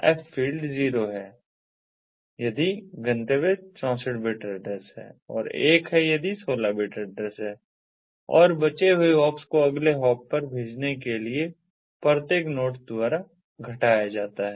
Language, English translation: Hindi, the f field is zero if the destination is sixty four bit address and one if it is sixteen bit address and the hops left are decremented by each node before sending to the next hop